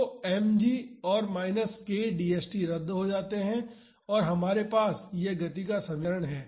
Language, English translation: Hindi, So, mg and minus k d st cancel out and we have this equation of motion